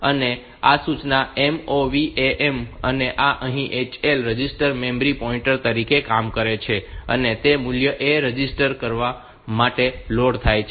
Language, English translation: Gujarati, Now, this instruction MOV A comma M; so this here the HL register acts as the memory pointer, and that value is loaded on to register A